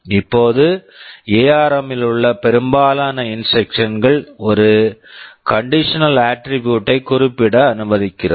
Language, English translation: Tamil, Now most instruction in ARM allows a condition attribute to be specified